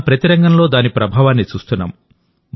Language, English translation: Telugu, And today we are seeing its effect in every field